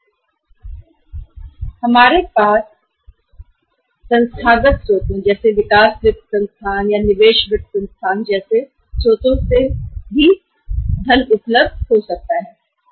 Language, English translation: Hindi, Then we have the funding available from the institutional uh sources maybe the development finance institutions or maybe the investment finance institutions